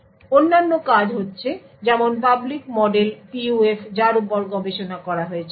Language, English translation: Bengali, So, there are being other works such as the public model PUF which has been researched